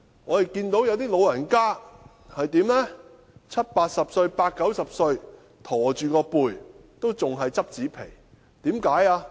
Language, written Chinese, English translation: Cantonese, 我亦看到一些長者即使已年屆七八十歲或八九十歲又駝背，仍要撿拾紙皮。, I have also seen some stooped elderly in their 70s to 80s or 80s to 90s who still have to collect cardboards